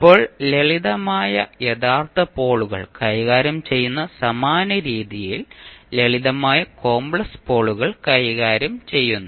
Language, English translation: Malayalam, Now, simple complex poles maybe handled the same way, we handle the simple real poles